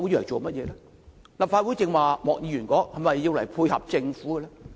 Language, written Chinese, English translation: Cantonese, 正如莫議員剛才說，立法會是否用來配合政府？, As stated by Mr MOK a moment ago should the Legislative Council be established to tie in with the Government?